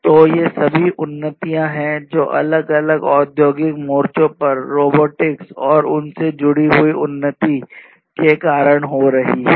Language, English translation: Hindi, So, these are all these advancements that are happening in different industrial fronts with the advancement of robotics and connected robots